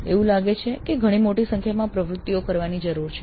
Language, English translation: Gujarati, It looks like a very large number of activities need to be performed